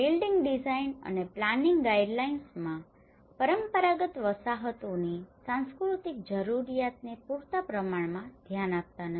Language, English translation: Gujarati, Building design and planning guidelines does not sufficiently address the cultural needs of traditional settlements